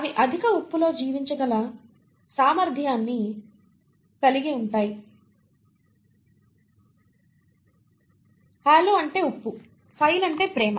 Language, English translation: Telugu, They have an ability to survive in high salt, halo means salt, phile means loving